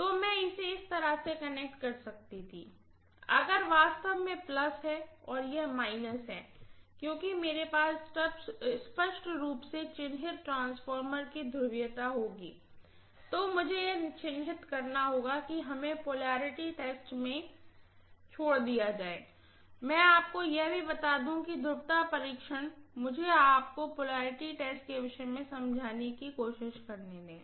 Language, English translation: Hindi, So I could have connected it in such a way that, if is actually plus and this is minus because I would have the polarity of the transformer clearly marked or I have to mark that leaves us to polarity test, let me tell you that also, polarity test, let me try to tell you little bit